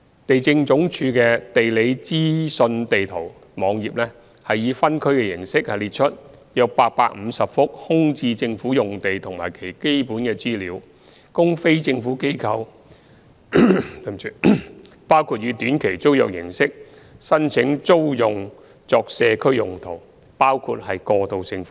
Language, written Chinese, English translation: Cantonese, 地政總署的"地理資訊地圖"網頁以分區形式列出約850幅空置政府用地及其基本資料，供非政府機構考慮以短期租約形式申請租用作社區用途，包括過渡性房屋。, The GeoInfo Map website of the Lands Department provides by district the basic information of a total of 850 vacant government sites which are available for short - term tenancy application by non - government organizations the NGOs for community purposes including transitional housing